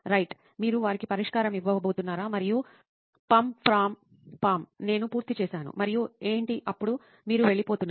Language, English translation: Telugu, Right, are you going to sort of give them the solution and say pamm pram paaam I am done and what then you walk away